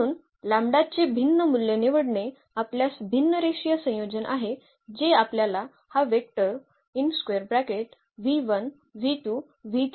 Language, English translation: Marathi, So, choosing a different value of lambda we have a different linear combination that will give us exactly this vector v 1 v 2 and v 3